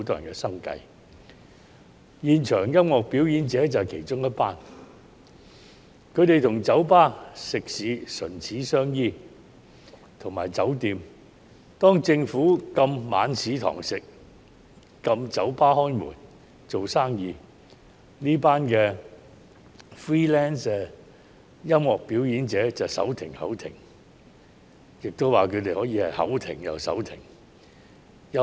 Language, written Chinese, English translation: Cantonese, 他們與酒吧、食肆和酒店唇齒相依，當政府禁止晚市堂食及禁止酒吧營業時，這群 freelance 音樂表演者便手停口停或口停手停。, They are closely connected with bars food establishments and hotels . When the Government banned evening dine - in services and the operation of bars these freelance music performers could hardly make ends meet